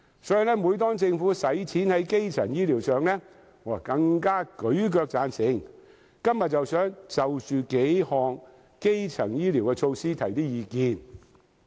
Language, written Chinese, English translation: Cantonese, 所以，每當政府用公帑在基層醫療上，我更會舉腳贊成，我今天想就着數項基層醫療措施提出一些意見。, For that reason whenever the Government uses public funds for primary health care services I will even raise my feet immediately as a gesture of support . Today I wish to present my views on several primary health care initiatives